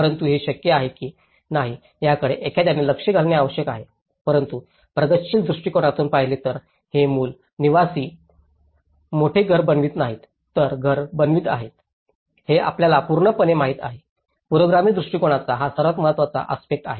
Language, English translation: Marathi, But, this is something whether it is possible or not that one has to look into it but whereas, in progressive approach it is unlike the core dwelling is not making a house bigger but were making a house finished you know, to the complete manner, that is the most important aspect of the progressive approach